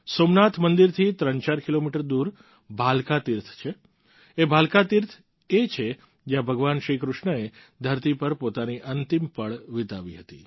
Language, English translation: Gujarati, 34 kilometers away from Somnath temple is the Bhalka Teerth, this Bhalka Teerth is the place where Bhagwan Shri Krishna spent his last moments on earth